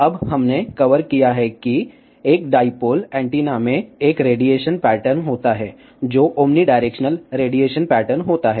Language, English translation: Hindi, Now, we have covered that a dipole antenna has a radiation pattern, which is omni directional radiation pattern